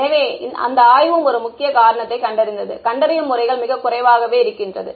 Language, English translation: Tamil, So, that study also identified one of the main reasons was a lack of diagnostic aids